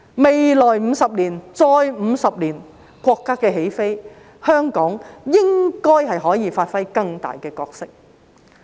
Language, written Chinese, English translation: Cantonese, 未來50年，再50年，國家起飛，香港應該可以發揮更大角色。, In the next 50 years and further 50 years when our country takes off Hong Kong should be able to play an even bigger role